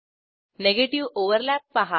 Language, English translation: Marathi, Observe negative overlap